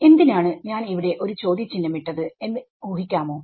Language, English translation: Malayalam, Let us why I have put a question mark over here any guesses